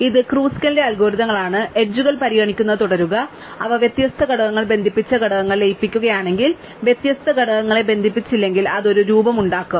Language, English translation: Malayalam, So, this is Kruskal's algorithms, just says keep considering edges and if they connect different components add them and merge the components, if they do not connect different components it will form a loop, so just throw it away